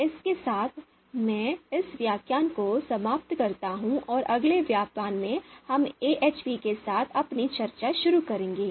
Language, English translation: Hindi, So with this, I end this lecture and in the next lecture we will start our discussion with AHP